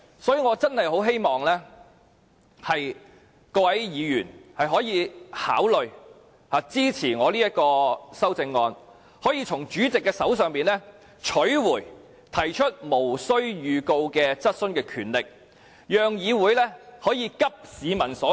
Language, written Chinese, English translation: Cantonese, 所以，我真的十分希望各位議員可以考慮支持我這項修正案，從而由主席手上取回提出無經預告質詢的權力，讓議會可以急市民所急。, Hence I really hope that Members can consider supporting my amendment so that this Council can take the power of raising questions without notice back from the President in order to address the pressing needs of the public